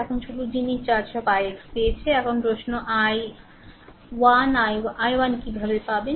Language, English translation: Bengali, Now only only thing that all I x is got now question is i 1 how to get i 1 right